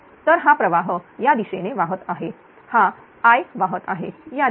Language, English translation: Marathi, So, this current is flowing this direction this I is flowing this is this direction